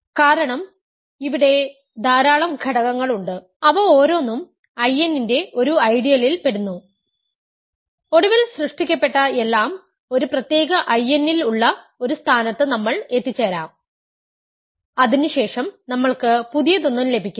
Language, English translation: Malayalam, Because there are finitely many elements and each of them belongs to one of the ideals I n, we can eventually reach a point where all the generators are in one particular I n and then after that, we get nothing new you get just the ideal I